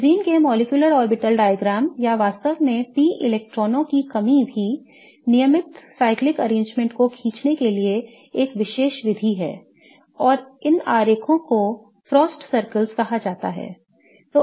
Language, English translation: Hindi, In order to draw the molecular orbital diagrams of benzene or really any regular cyclic arrangement of p electrons, there is a particular method and these diagrams are called as frost circles